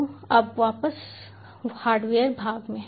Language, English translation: Hindi, so now back to the hardware part